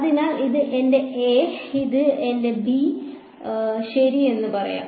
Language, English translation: Malayalam, So, let us say this is my a, this my b ok